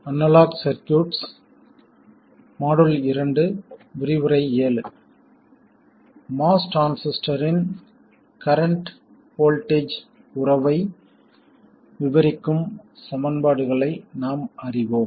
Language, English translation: Tamil, We know the equations describing the current voltage relationship of a MOS transistor